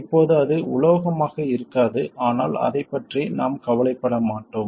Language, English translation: Tamil, Now it may not be metal anymore but we won't worry about it